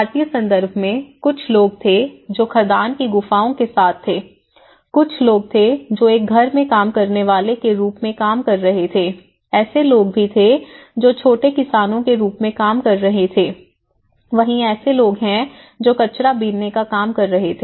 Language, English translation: Hindi, In Indian context, if you can say there was some people who place with mine caves, there people who was working as a housemaids, there are people who are working as a small farmers, there people who are working as a garbage collectors